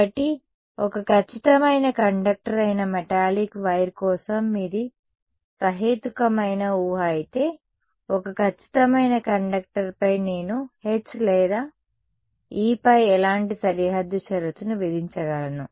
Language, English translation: Telugu, So, if your what is a reasonable assumption for a metallic wire that is a perfect conductor; on a perfect conductor what kind of boundary condition can I imposed can I imposed on H or an E